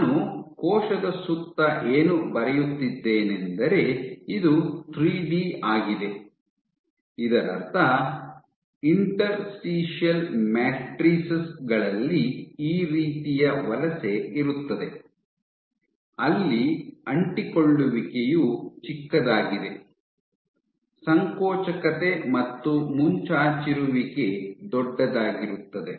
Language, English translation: Kannada, So, what I am drawing around the cell, this is 3D; that means, within interstitial matrices you can have this kind of migration where adhesion is small, contractility and protrusion are large, this is one type of migration